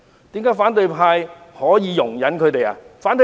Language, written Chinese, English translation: Cantonese, 為何反對派可以容忍他們？, Why can the opposition camp condone them?